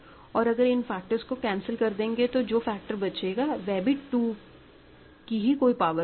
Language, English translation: Hindi, If you cancel some of those factors, you will remain; then what remains will be still of the form 2 power something